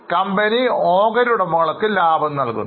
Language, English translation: Malayalam, Now company pays dividend to shareholders